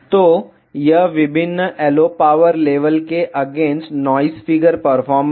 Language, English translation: Hindi, So, this is a noise figure performance against various LO power levels